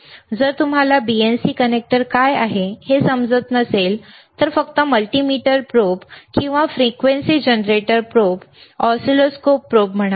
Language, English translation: Marathi, iIf you do n ot understand what is BNC connector is, just say multimeter probe or frequency generator probe, oscilloscope probe, right